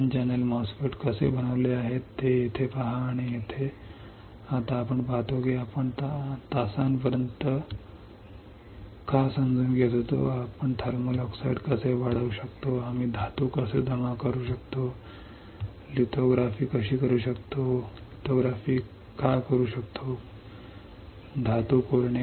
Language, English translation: Marathi, See this is how the N channel MOSFET is fabricated and here we now see that why we were understanding for hours, what is how can we grow thermal oxide how can we deposit metal, how can we do lithography, why to do lithography, why to etch metal